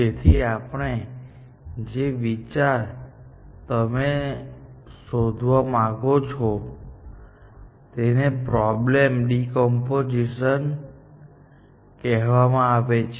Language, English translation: Gujarati, So, the idea that you want to explore is called problem decomposition